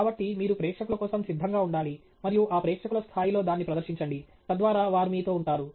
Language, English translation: Telugu, So, you have to be prepared for the audience and pitch it at that audience level okay, so that they stay with you